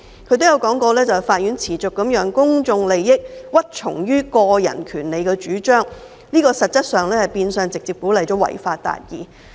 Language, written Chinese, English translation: Cantonese, 他亦提到，法院持續地讓公眾利益屈從於個人權利的主張，變相直接鼓勵"違法達義"。, He also mentioned that consistently the courts had subordinated the common good to the assertions of personal right which was tantamount to directly encouraging people to achieve justice by violating the law